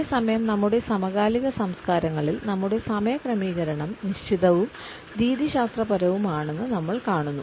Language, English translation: Malayalam, At the same time we find that in our contemporary cultures our arrangement of time is broadly fixed and rather methodical